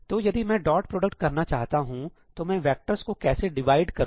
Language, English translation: Hindi, So, if we want to compute the dot product, how would I ideally want to divide up the vectors